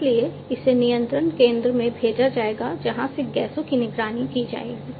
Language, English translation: Hindi, So, so this is going to be sent to the control center from where the monitoring of the gases are going to be done right